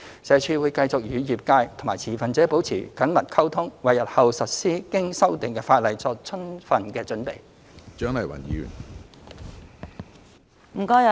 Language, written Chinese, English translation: Cantonese, 社署會繼續與業界和持份者保持緊密溝通，為日後實施經修訂的法例作充分準備。, SWD will continue to liaise closely with the sector and stakeholders to prepare for the implementation of the amended regulation in the future